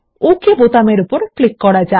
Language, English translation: Bengali, Now let us click on the Ok button